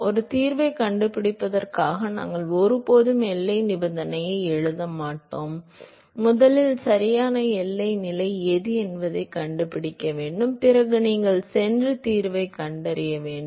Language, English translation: Tamil, We never write a boundary condition for finding a solution, you first find out what is the correct boundary condition, then you go and find the solution